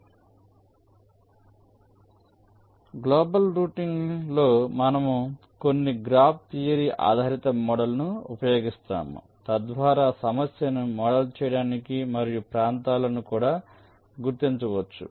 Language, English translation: Telugu, so in global routing we use some graph theory based models so which can be used to model the problem and also identified the regions